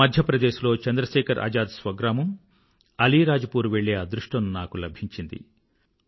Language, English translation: Telugu, It was my privilege and good fortune that I had the opportunity of going to Chandrasekhar Azad's native village of Alirajpur in Madhya Pradesh